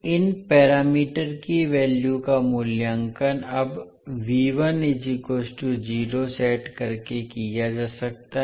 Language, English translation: Hindi, The values of these parameters can be evaluated by now setting V1 equal to 0